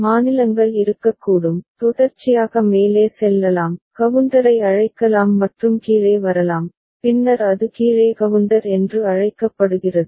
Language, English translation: Tamil, And the states could be, can be sequentially going up, called up counter and can come down then it is called down counter